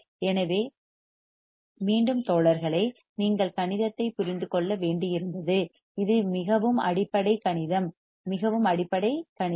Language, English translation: Tamil, So, again guys you see you had to understand mathematics these are this is very basic mathematics very basic mathematics